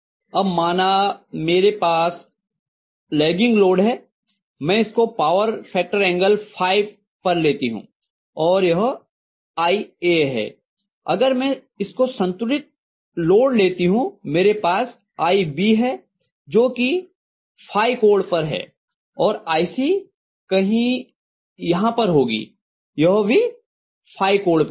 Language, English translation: Hindi, Now let us say I am going to have a lagging load, I am just arbitrary taking this as some at a point factor angle phi this is going to be IA, and if I assume it as a balance load I am going to have IB again at an angle of phi and IC somewhere here which is also at an angle of phi, right